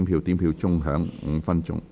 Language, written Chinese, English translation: Cantonese, 表決鐘會響5分鐘。, The division bell will ring for five minutes